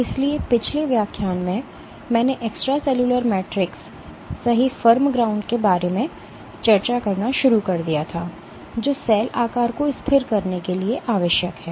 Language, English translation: Hindi, So, in the last lecture, I started discussing about the Extracellular Matrix right the form ground, which is required for stabilizing cell shape